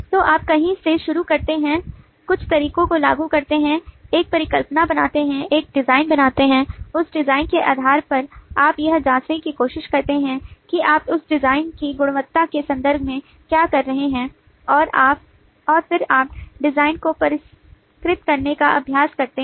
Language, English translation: Hindi, so you start somewhere, apply some of the methods, make a hypothesis, make a design based on that design, you try to check how are you doing in terms of the quality of that design and then you try to refine the design